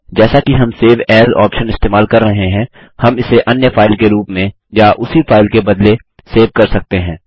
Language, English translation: Hindi, Again as we use the Save option, we can either save it as a different file or replace the same file